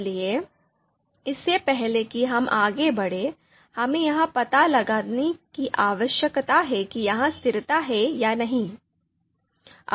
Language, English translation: Hindi, And therefore, before we can move ahead, we need to find out whether this you know consistency is there or not